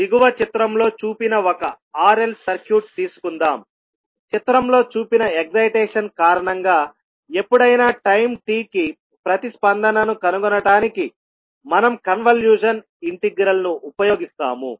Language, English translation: Telugu, So let us take one r l circuit which is shown in the figure below, we will use the convolution integral to find the response I naught at anytime t due to the excitation shown in the figure